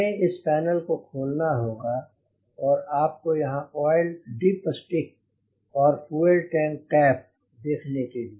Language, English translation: Hindi, we need to see you can see the oil dipstick here the oil tank cap